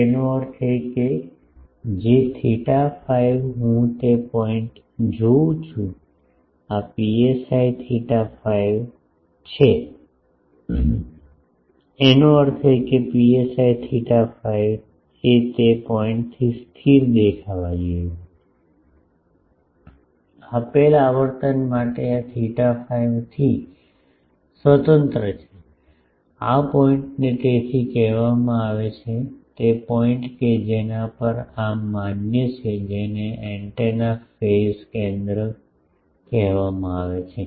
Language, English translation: Gujarati, That means, whatever theta phi I look at that point, this psi theta phi so; that means, psi theta phi should appear to be a constant from that point, for a given frequency this is independent of theta phi this point is called the so, the point at which this is valid that is called the phase center of the antenna